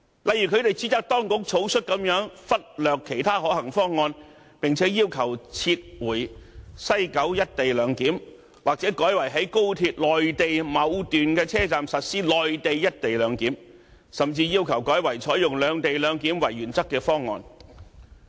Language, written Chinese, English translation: Cantonese, 例如，他們指責當局草率地忽略其他可行方案，並且要求撤回西九"一地兩檢"或改為在高鐵內地某段車站實施內地"一地兩檢"，甚至要求改為採用"兩地兩檢"為原則的方案。, For example they accuse the Administration for being rash in overlooking other possible options ask to withdraw the proposal of implementing the co - location arrangement at West Kowloon Station or change the location for implementing the co - location arrangement to a certain HSR station in the Mainland and even ask to adopt another proposal based on the principle of separate - location arrangement